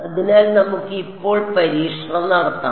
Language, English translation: Malayalam, So, let us now let us do testing with